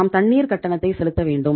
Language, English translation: Tamil, We have to pay the water bill